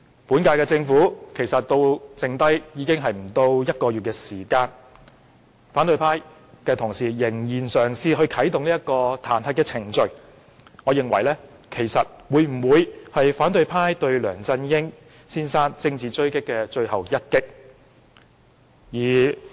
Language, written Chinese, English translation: Cantonese, 本屆政府任期只剩下不到1個月，反對派同事仍嘗試啟動彈劾程序，我認為這是反對派對梁振英政治狙擊的最後一擊。, The remaining tenure of the current - term Government is just less than a month yet colleagues of the opposition camp still try to initiate the impeachment procedure . I would consider this their final shot of a political attack against LEUNG Chun - ying